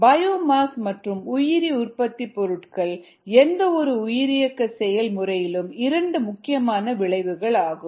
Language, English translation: Tamil, biomass, or cells and bio products, and these are the two important outcomes of any bio process